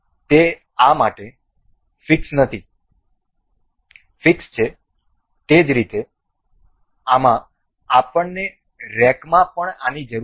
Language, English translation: Gujarati, So, now it is fixed to this, similarly in this we need this in rack also